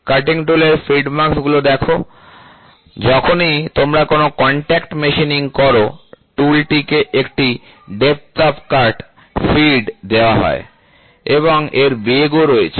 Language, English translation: Bengali, See the feed marks of the cutting tool, whenever you do a contact machining, the tool is given depth of cut, depth of cut, feed and there is a speed